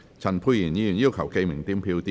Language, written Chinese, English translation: Cantonese, 陳沛然議員要求點名表決。, Dr Pierre CHAN has claimed a division